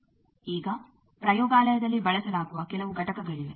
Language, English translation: Kannada, Now, there are some components used in the laboratory